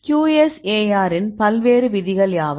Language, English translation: Tamil, So, then what are the various rules of QSAR